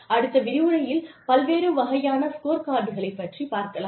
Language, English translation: Tamil, And, we will deal with, the various types of the scorecards, in the next lecture